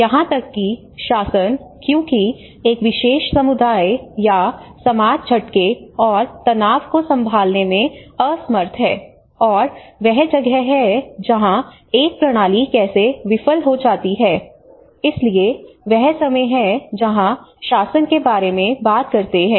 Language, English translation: Hindi, So even the governance because how one particular community or society is unable to handle shocks and stresses and that is where a system how it fails, so that is where the time talk about the governance